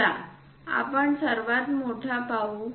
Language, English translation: Marathi, Let us look at bigger one 8